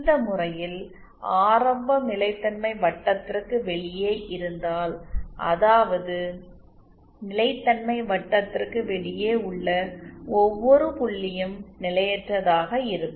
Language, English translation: Tamil, If the origin in this case will lie outside the stability circle that means every point outside the stability circle is potentially unstable